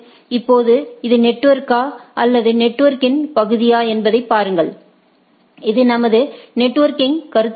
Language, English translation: Tamil, Now, see if this is the network or portion of the network right, let us consider this is the our networking consideration